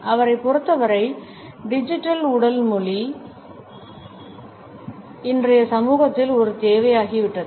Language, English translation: Tamil, Digital body language according to him has become a need in today’s society